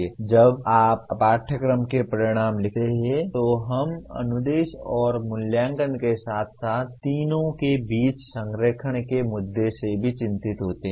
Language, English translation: Hindi, Now when you write course outcomes we are also concerned with the instruction and assessment as well and the issue of alignment between all the three